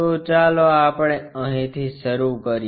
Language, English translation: Gujarati, So, let us begin it here